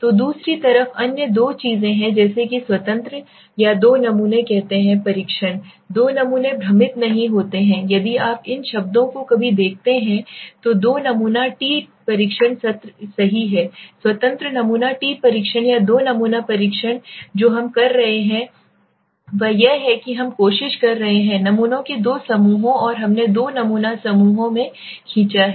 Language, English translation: Hindi, So on the other hand there are other two other things like the independent or let s say two sample test, two sample do not get confused if you see these words ever, two sample t test right so independent sample t test or two sample test what we are happening is we are trying there are two groups of samples we have pulled in two sample groups